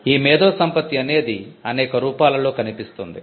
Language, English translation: Telugu, Intellectual property manifests itself in various forms